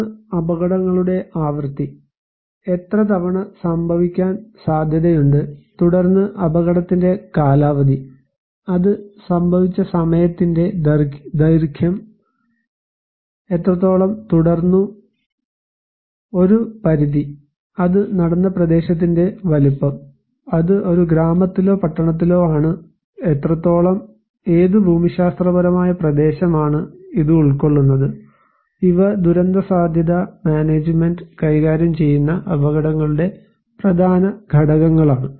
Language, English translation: Malayalam, One is the frequency of the hazards; how often is the event likely to happen, and then is the duration of the hazard; the length of time that when it happened how long it continued, an extent; the size of the area where it took place, it is in a village or in a town, what extent, what geographical area it is covering so, these are important components of hazards will dealing with disaster risk management